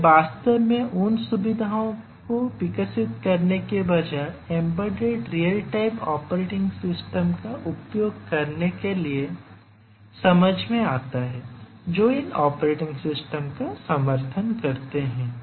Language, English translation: Hindi, So, it makes sense to use a embedded real time operating system rather than really developing the features that these operating systems support